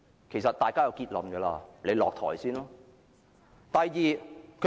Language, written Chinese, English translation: Cantonese, 其實大家已有結論，請他首先下台。, In fact we have already reached a conclusion ie . he should step down